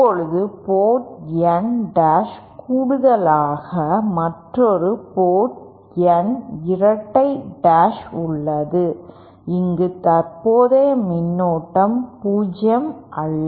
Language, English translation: Tamil, Now consider that in addition to N dash the port N dash we also have another port N double dash where the current is non zero